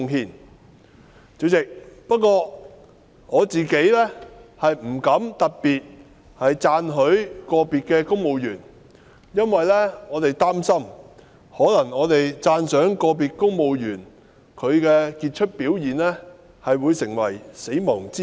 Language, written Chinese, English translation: Cantonese, 代理主席，不過，我自己不敢特別讚許個別公務員，因為我們擔心讚賞個別公務員的傑出表現，可能會成為"死亡之吻"。, Deputy President however I personally dare not single out individual civil servants for praise fearing that our admiration for the outstanding performance of individual civil servants might become a kiss of death